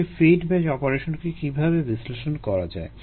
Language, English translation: Bengali, how to analyze the fed batch operation